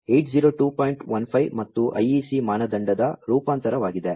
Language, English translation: Kannada, 15 and an IEC standard